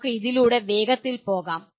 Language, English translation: Malayalam, Let us quickly go through this